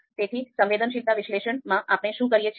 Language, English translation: Gujarati, So what we do in sensitivity analysis